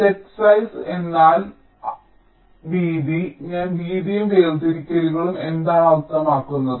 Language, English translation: Malayalam, set sizes means the width, i mean the width and also the separations